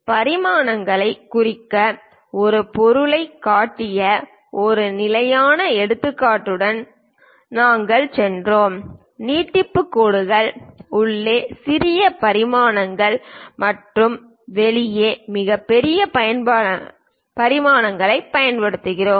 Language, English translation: Tamil, We went with a standard example where we have shown for an object to represent dimensions, we use the extension lines, smallest dimensions inside and largest dimensions outside